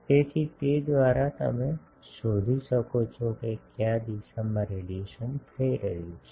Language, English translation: Gujarati, So, by that you can find out in which direction radiation is taking place